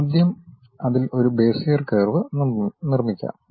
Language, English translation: Malayalam, Then first, we will construct a Bezier curve in that